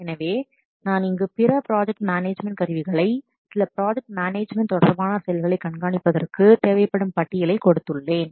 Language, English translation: Tamil, So I have listed here some other project management tools to perform some other project management related activities